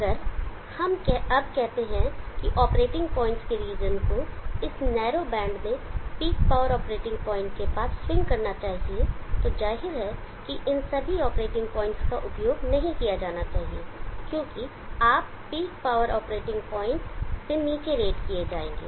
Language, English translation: Hindi, If we now say that the region of the operating points would swing in this narrow band near the peak power operating point, then obviously all these operating points are not suppose to be used, because you will be rate below the peak power operating point